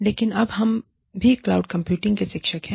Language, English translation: Hindi, But, we are also now, teachers in the cloud